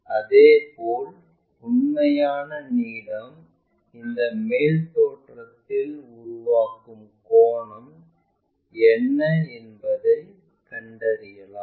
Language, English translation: Tamil, Similarly, true length what is the angle it is making on this top view also